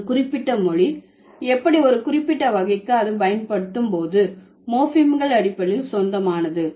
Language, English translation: Tamil, So, how a particular language belongs to a particular type on the basis of the morphemes that it uses